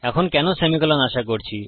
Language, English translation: Bengali, Now why are we expecting a semicolon